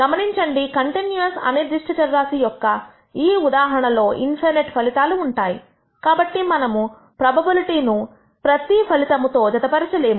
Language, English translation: Telugu, Notice, in the case of a continuous random variable, there are infinity of outcomes and therefore, we cannot associate a probability with every outcome